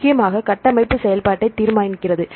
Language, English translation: Tamil, So, mainly the structure determines the function